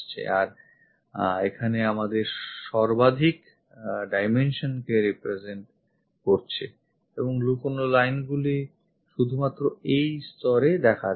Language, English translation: Bengali, And we have this maximum dimensions represented here and the hidden lines goes only at that level